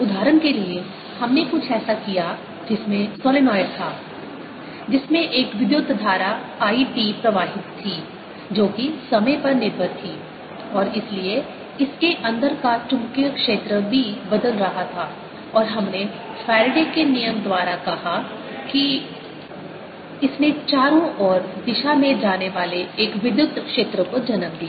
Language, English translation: Hindi, for example, we did something in which is solenoid, whose carrying a current which was time dependent i, t, and therefore the magnetic field inside this b was changing and that we said by faraday's law, gave rise to an electric field going around um direction